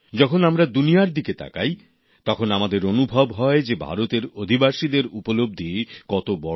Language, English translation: Bengali, When we glance at the world, we can actually experience the magnitude of the achievements of the people of India